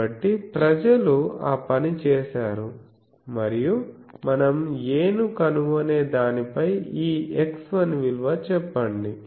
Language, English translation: Telugu, So, people have done that and on what we will find the a let us say that this x 1 value